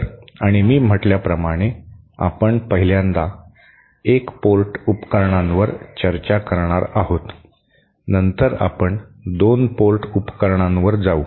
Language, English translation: Marathi, So, and as I said we shall 1st be discussing one port devices, then we shall be moving onto 2 port devices and so on